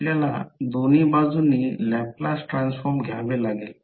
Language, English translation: Marathi, We have to take the Laplace transform on both sides